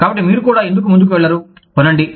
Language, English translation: Telugu, So, why do not you also go ahead, and buy it